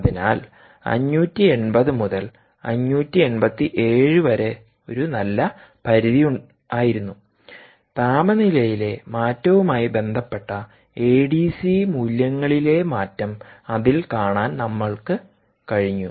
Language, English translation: Malayalam, so five hundred and eighty to five hundred and eighty seven was a nice range over which we were able to see the change in a d c values with respect to the change in temperature